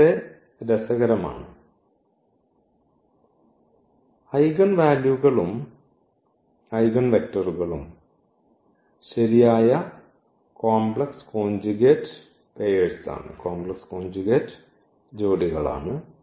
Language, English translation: Malayalam, So, that is interesting here and both the eigenvalues and eigenvectors are correct complex conjugate pair